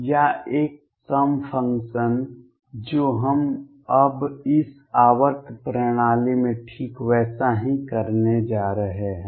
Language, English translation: Hindi, Or an even function we are going to do now exactly the same thing in this periodic system